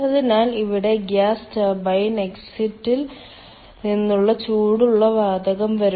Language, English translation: Malayalam, so here the hot gas from the ah, from the gas turbine exit, will come